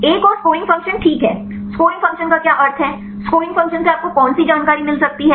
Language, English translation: Hindi, Another one is scoring function right what is the meaning of scoring function what information you can get from scoring function